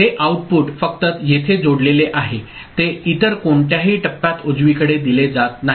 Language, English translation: Marathi, These output is only linked here, it is not fed back to any other stage right